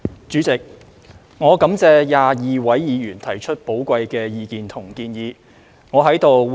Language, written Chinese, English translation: Cantonese, 主席，我感謝22位議員提出寶貴意見和建議。, President I thank the 22 Members for their valuable comments and suggestions